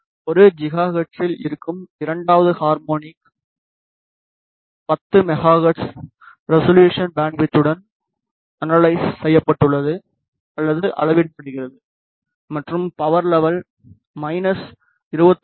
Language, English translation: Tamil, The second harmonic which is at 1 giga hertz has been analyzed or measured with the resolution bandwidth of 10 megahertz and the power level is minus 23